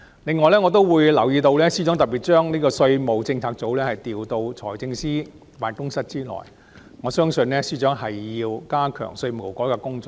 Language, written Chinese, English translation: Cantonese, 此外，我亦留意到司長將稅務政策組調到財政司司長辦公室轄下，我相信司長是要加強稅務改革的工作。, In addition I have also noted that the Financial Secretary will transfer the Tax Policy Unit to come under the Financial Secretarys Office . I believe that the Financial Secretary aims to step up the work of tax reform